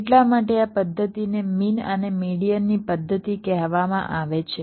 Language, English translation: Gujarati, thats why this method is called method of means and medians